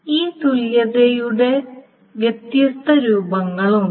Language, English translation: Malayalam, So there are different forms of this equivalence